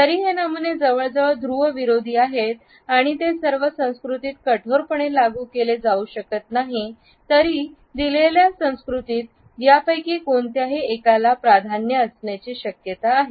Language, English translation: Marathi, Although these patterns which are almost polar opposites cannot be applied rigidly to all the cultures; a given culture is likely to have a preference for either one of these and would be more inclined towards it